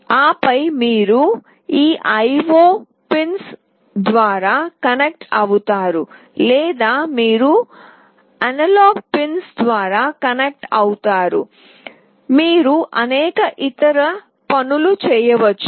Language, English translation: Telugu, And then you connect through these IO pins or you connect through the analog pins, you can do various other things